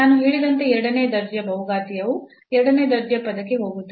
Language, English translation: Kannada, So, the second order polynomial as I said we will just go up to the second order term